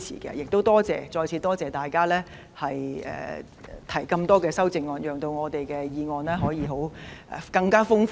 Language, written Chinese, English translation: Cantonese, 我亦再次多謝大家提出這些修正案，讓我們的議案辯論內容更豐富。, I also thank Members again for their amendments which have further enriched our motion debate